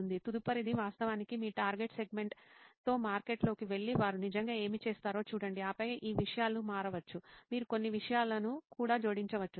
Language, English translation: Telugu, The next is to actually go into the market with your target segment and see what do they actually do and then these things may change, you may add a few things also, ok